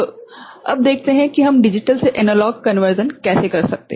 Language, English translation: Hindi, Now, let us see how we can get a digital to analog conversion done